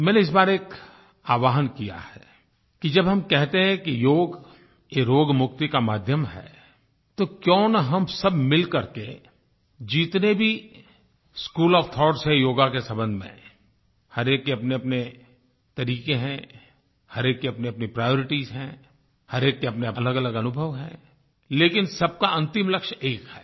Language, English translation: Hindi, When we say that Yoga is a way to rid oneself of illnesses, then why don't we bring together all the different schools of thought of Yoga, which have their own methods, their own priorities and their own experiences